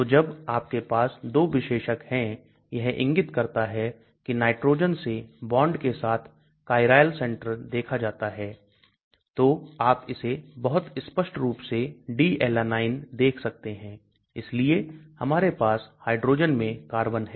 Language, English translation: Hindi, So when you have 2 specifier indicates that viewed from nitrogen along the bond to the chiral center so you can see this very clearly D Alanine so we have the carbon at the hydrogen inside